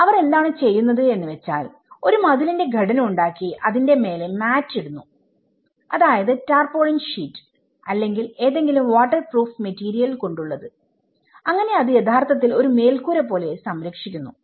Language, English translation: Malayalam, What they do is, they have this walled structure and they put a mat on it, the tarpaulin sheets or some kind of waterproof materials so that it can actually protect as a roof